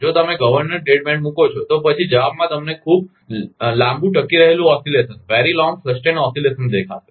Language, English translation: Gujarati, If you put governor dead band, then in the response you will see a very long sustained oscillation